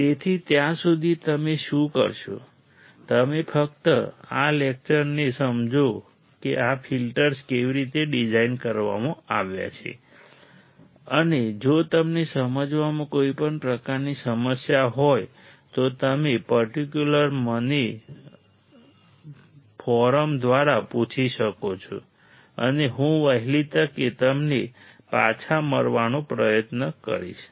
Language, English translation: Gujarati, So, till then what you do is, you just look at this lecture understand how these filters are designed and if you have any kind of problem in understanding, you can definitely ask me through the forum and I will try to get back to you at my earliest